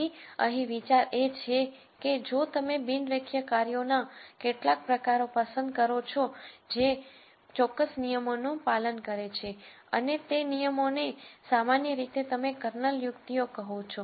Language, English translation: Gujarati, So, the idea here is that if you choose certain forms of non linear functions which obey certain rules and those rules typically are called you know Kernel tricks